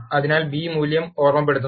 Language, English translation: Malayalam, So, the b value reminds as is